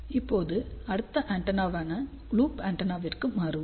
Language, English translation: Tamil, Now, let us shift to the next antenna which is loop antenna